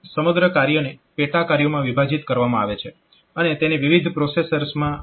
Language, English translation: Gujarati, So, and entire task is divided in to sub tasks, and they are distributed to different processors